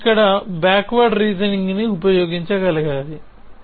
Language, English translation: Telugu, We need to be able to use backward reasoning here